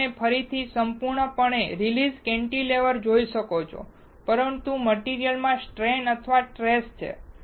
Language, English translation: Gujarati, Here, you can see again a completely released cantilever, but there is a strain or stress in the material